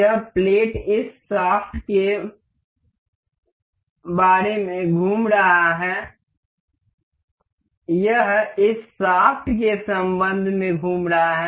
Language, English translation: Hindi, the This plate is rotating about this shaft; this is rotating about this shaft